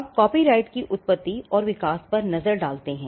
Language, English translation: Hindi, Now, let us look at the Origin and Evolution of Copyright